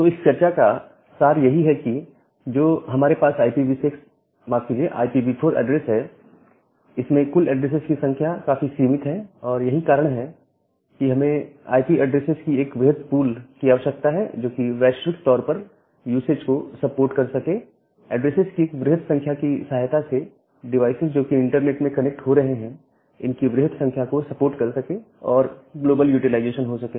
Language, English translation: Hindi, So, what the take way message from this discussion is that, the IPv4 address that we have the total number of addresses are very limited and that is why, we need to have large pool of IP addresses, which can support global usage or global utilization with the help of a large number of addresses for a huge number of devices which are getting connected over the internet